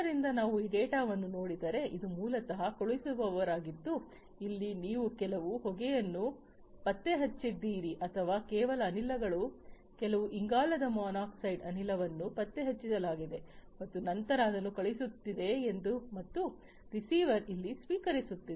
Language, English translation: Kannada, So, if we look at this data this is basically the sender as you can see over here you know he detected some smoke or whatever some gases some carbon monoxide gas etc etc was detected and then it is sending it and the receiver is receiving over here